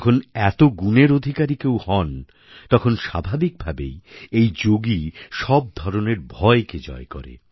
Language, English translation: Bengali, When so many attributes become one's partner, then that yogi conquers all forms of fear